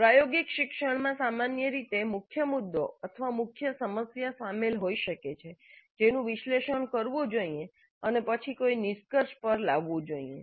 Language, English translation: Gujarati, Experiential learning generally involves a core issue or a core problem that must be analyzed and then brought to a conclusion